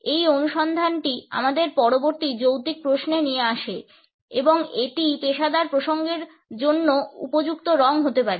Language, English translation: Bengali, This finding brings us to the next logical question and that is what may be the suitable colors for professional contexts